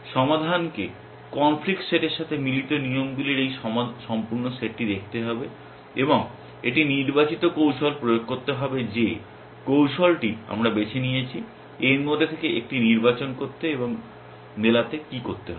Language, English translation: Bengali, Resolve has to look at this entire set of matching rules of the conflict set and applied a chosen strategy whichever the strategy we have chosen, to select one of these from this and what does match have to do